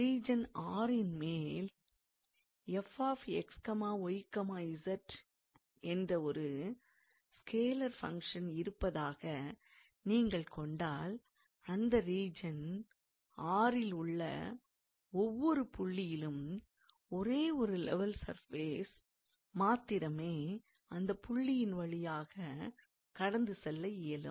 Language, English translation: Tamil, So, it says that suppose you have a scalar field f x, y, z over a region R, then every point on this region R, there can be only one level surface that will pass through that point